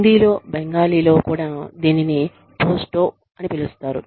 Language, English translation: Telugu, In Hindi, it is also, it is known as, Posto in Bengali